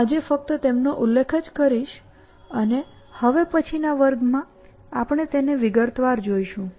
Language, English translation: Gujarati, So, I will just mention them today and in the next class we will take it up from there